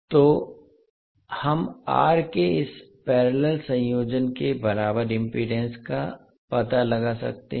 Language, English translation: Hindi, So we can find out the equivalent impedance of this particular parallel combination